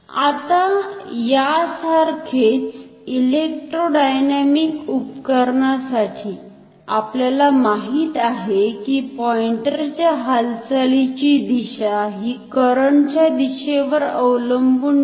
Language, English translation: Marathi, For electrodynamic instrument, we know that the direction of pointer movement does not depend on the direction of the current